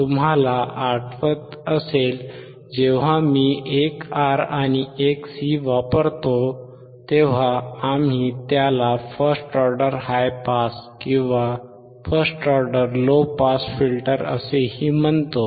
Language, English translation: Marathi, You remember when we use one R and one C, we also called it is first order high pass or first order low pass filter